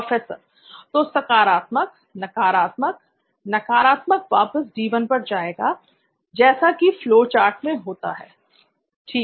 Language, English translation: Hindi, So positive, negative, negative goes back to D 1, so like a flow chart, ok fine